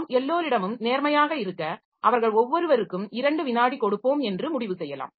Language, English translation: Tamil, So, maybe I give to be fair to everybody we may decide that we will give two second to each of them